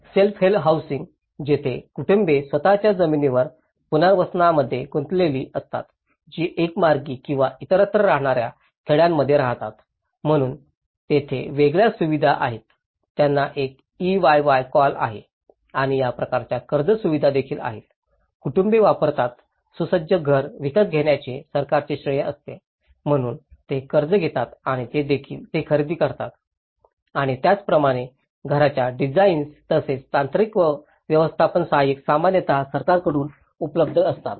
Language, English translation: Marathi, In self help housing, where families are involved in the reconstruction on their own land that is one way or in a relocated villages, so there are different facilities like one is they call EYY and it’s about kind of loan facility also, the families use the government credits to buy a furnished house so, they take a loan and they purchase and similarly, the house designs, as well as the technical and management assistants, are usually available from the government